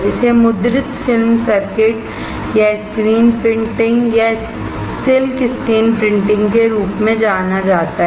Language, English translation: Hindi, Its known as printed film circuits or screen printing or silk screen printing